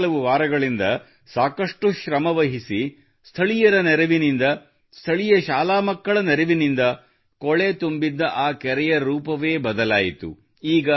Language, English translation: Kannada, With a lot of hard work, with the help of local people, with the help of local school children, that dirty pond has been transformed in the last few weeks